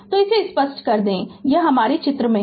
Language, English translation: Hindi, So, let me clear it so this is your figure right